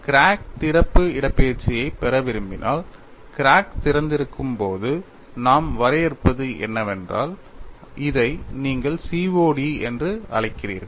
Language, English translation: Tamil, Then we moved on to finding out, what is crack opening displacement, and when you want to get the crack opening displacement, what we define is, when you have the crack has opened, this you call it as COD